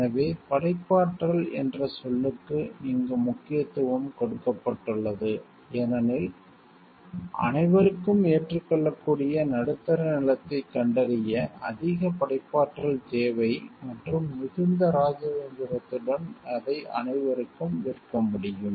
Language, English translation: Tamil, So, the emphasis here is on the word created because it takes a great deal of creativity to find out the middle ground that is acceptable to everyone and with a great deal of diplomacy it can be sold to everyone